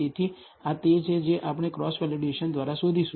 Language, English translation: Gujarati, So, this is what we are going to find out by cross validation